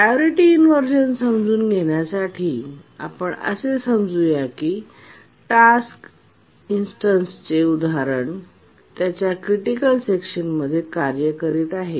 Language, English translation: Marathi, To understand what is priority inversion, let's assume that a task instance that is a job is executing its critical section